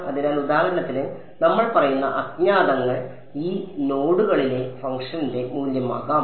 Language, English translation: Malayalam, So, the unknowns that we will say for example, can be the value of the function at these nodes